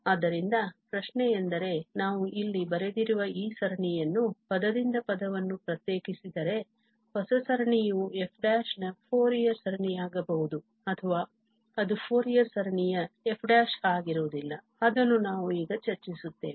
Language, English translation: Kannada, So, the question is, if we differentiate this series here term by term, the new series will be a Fourier series of f prime or it may not be a Fourier series of f prime, so that we will discuss now